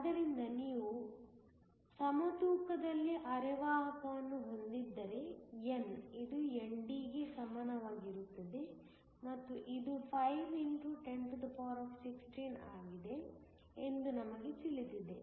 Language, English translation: Kannada, So, if you have the semiconductor at equilibrium we know that n is equal to ND which is 5 x 1016